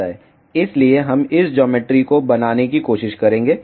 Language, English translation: Hindi, So, we will try to make this geometry